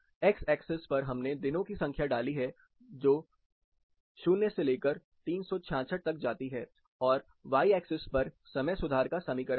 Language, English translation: Hindi, Along the x axis it has a number of days that is day of the year, starts from 0 goes to 366, then on the y axis we have the equation of time correction